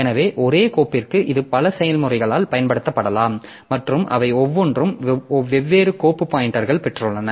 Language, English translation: Tamil, So, for the same file it may be used by several processes and each of them have got different file pointer